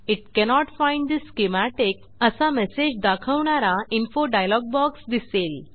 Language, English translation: Marathi, An Info dialog box appears saying it cannot find schematic